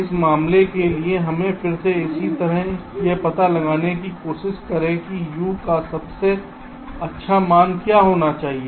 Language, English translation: Hindi, ok, so for this case, let us again similarly try to find out what should be the best value of u, so that this, this overall delay, is minimized